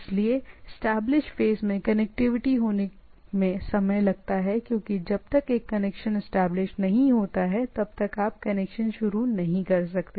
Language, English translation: Hindi, So establishment phase takes time to have connectivity, because unless the connection is establish you cannot start communication